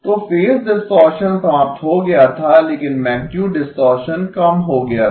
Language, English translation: Hindi, ” So phase distortion eliminated but magnitude distortion minimized